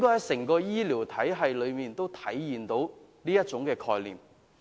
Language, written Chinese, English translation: Cantonese, 整個醫療體系都應體現這概念。, The entire health care system should adopt this concept